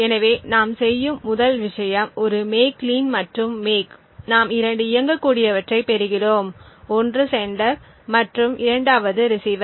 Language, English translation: Tamil, So, the 1st thing we do is do a make clean and make and we obtain 2 executables one is a sender and the 2nd is the receiver